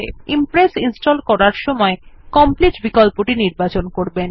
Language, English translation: Bengali, Remember, when installing, use theComplete option to install Impress